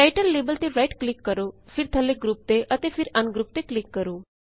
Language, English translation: Punjabi, Right click on the Title label and then click on Group at the bottom then click on Ungroup